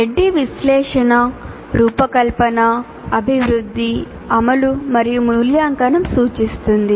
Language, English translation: Telugu, Adi refers to analysis, design, development, implement and evaluate